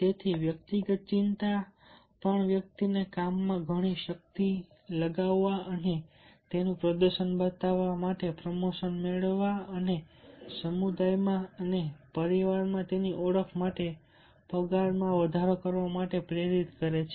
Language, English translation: Gujarati, so, therefore, the individual concern is also driving the individual to put lot of energy on the work and to show his performance in the work and as well as to get the promotions and pay hike for his recognition in the community as well as in the family